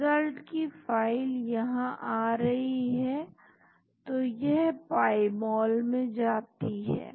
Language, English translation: Hindi, So, the results file coming here so, it goes into pymol